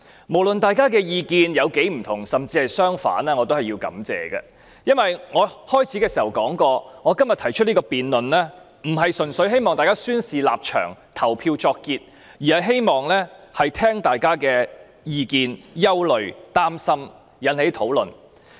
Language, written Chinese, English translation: Cantonese, 無論大家的意見有多不同，甚至相反，我也要說聲感謝，因為我開始發言時已說，我今天動議這項議案並非純粹希望大家宣示立場，表決作結，而是希望聆聽大家的意見、憂慮、擔心，從而引起討論。, I wish to say a word of thanks no matter how different or even opposing our views are . As I said in the beginning this motion that I moved today seeks not only to ask Members to make their stands clear with their votes but also to render me a chance to listen to Members views their concerns and worries so as to trigger a discussion . I should also thank the three amendment movers despite their different directions